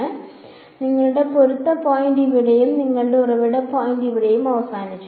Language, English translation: Malayalam, So, your matching point is over here and your source point is over here right